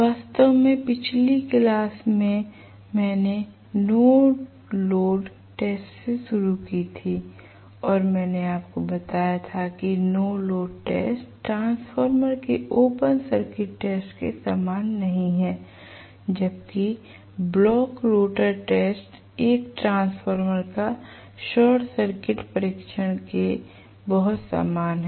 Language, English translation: Hindi, In fact, last class I had started on no load test and I told you that no load test is very similar to the open circuit test of a transformer whereas the block rotor test is very similar to the short circuit test of a transformer